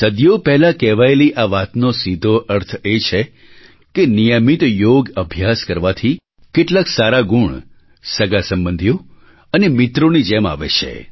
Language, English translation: Gujarati, Thisobservation expressed centuries ago, straightaway implies that practicing yogic exercises on a regular basis leads to imbibing benefic attributes which stand by our side like relatives and friends